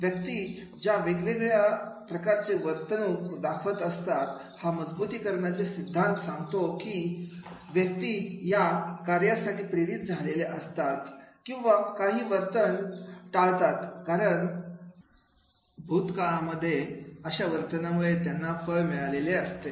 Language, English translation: Marathi, This reinforcement theory talks about people are motivated to perform or avoid certain behavior because of past outcomes that they have resulted from those behaviors